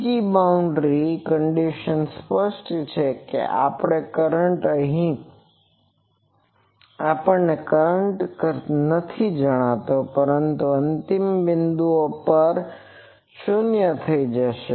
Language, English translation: Gujarati, The second boundary condition is obvious that our current we do not know the current here, but at the endpoints this will go to 0